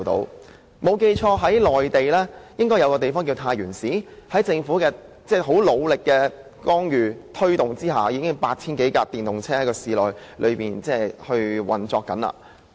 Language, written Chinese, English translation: Cantonese, 如果我沒有記錯，內地一個名為太原市的地方，在政府的努力推動下，現時市內已經有 8,000 多輛電動車運作。, The Government indeed needs to spend greater effort in the promotion so as to get it done . If I remember correctly in a Mainland city called Taiyuan with the all - out effort of the City Government in promoting EVs there are now over 8 000 EVs in the city